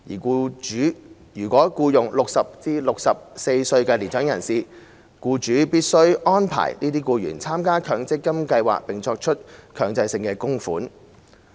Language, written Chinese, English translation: Cantonese, 僱主如僱用60歲至64歲的年長人士，僱主必須安排這些僱員參加強積金計劃並作出強制性供款。, Employers of mature persons aged between 60 and 64 are required to make arrangements for these employees to join an MPF scheme and make mandatory contributions to these schemes